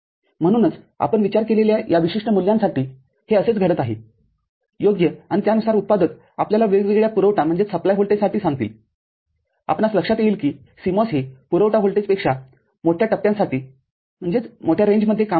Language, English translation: Marathi, So, this is the kind of thing which is happening for this particular values that we have considered right and accordingly, the manufacturers will tell you for different supply voltages, you remember the CMOS works over a very large range of supply voltages